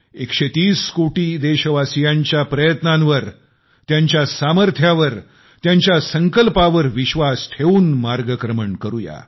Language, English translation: Marathi, Let's show immense faith in the pursuits actions, the abilities and the resolve of 130 crore countrymen, and come let's move forth